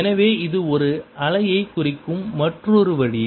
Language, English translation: Tamil, so this is another way of representing a wave